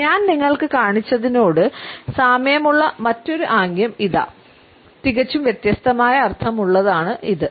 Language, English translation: Malayalam, Here is another gesture that is very similar to the one I have just shown you that has a completely different meaning